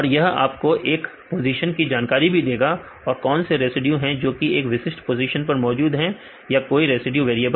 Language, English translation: Hindi, It can also provide the information regarding each position, what are the other residues which are present in particular position if any residue is the variable